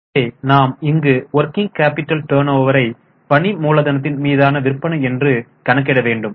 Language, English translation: Tamil, So, we were here working capital turnover ratio which is sales upon working capital